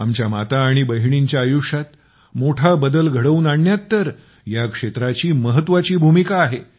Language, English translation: Marathi, It has played a very important role in bringing a big change in the lives of our mothers and sisters